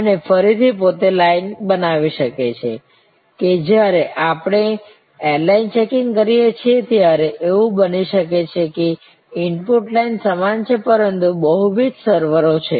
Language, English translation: Gujarati, And again the line itself can be constructed, that it can be like when we do airline checking, that the input line is the same, but there are multiple servers